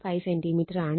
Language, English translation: Malayalam, 5 centimeter right